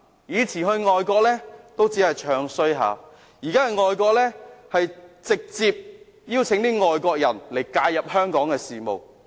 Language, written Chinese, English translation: Cantonese, 他們過往到外國只是"唱衰"香港，現在到外國則直接邀請外國人介入香港事務。, In the past they only bad - mouthed Hong Kong overseas but nowadays when they visit other countries they directly invite foreign people to interfere in Hong Kong affairs